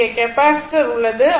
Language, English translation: Tamil, It is a capacitor only